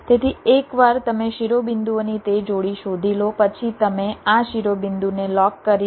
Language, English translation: Gujarati, ok, so once you find that pair of vertices, you lock this vertice